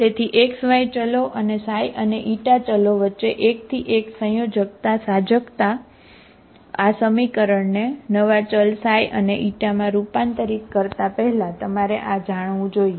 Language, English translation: Gujarati, So one to one correspondence between xy variables and xi and Eta variables, this is what you should know before you transform this equation into a new variable xi and Eta